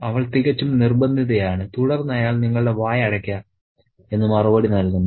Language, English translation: Malayalam, So, she is quite insistent and then he replies, just shut your mouth